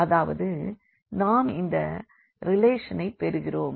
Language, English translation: Tamil, So, that means, we are getting this relation here